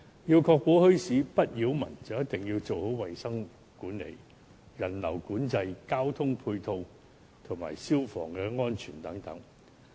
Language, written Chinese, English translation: Cantonese, 要確保墟市不擾民，就一定要做好衞生管理、人流管制、交通配套及消防安全等工作。, To ensure that bazaars will not create a nuisance to the public the authorities must do a good job in managing hygiene regulating visitor flows providing ancillary transportation services and taking fire precautions